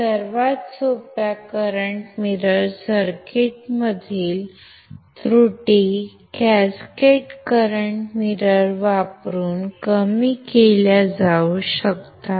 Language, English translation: Marathi, The errors in the simplest current mirror circuits can be reduced by using, cascaded current mirrors